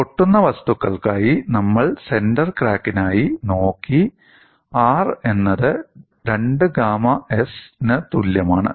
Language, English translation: Malayalam, And for brittle materials, we have looked at for the center of crack R equal to 2 gamma s